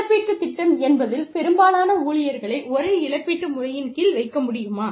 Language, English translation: Tamil, Will the compensation plan, place most employees, under the same compensation system